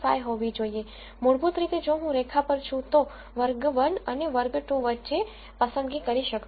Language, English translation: Gujarati, 5, which basically says that if I am on the line I cannot make a choice between class 1 and class 2